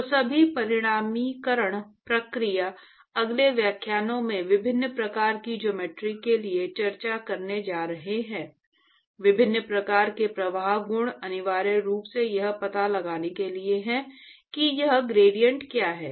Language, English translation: Hindi, So, all the quantification process that we are going to actually discuss in the next several lectures for various kinds of geometries, various kinds of flow properties is essentially to find what is this gradient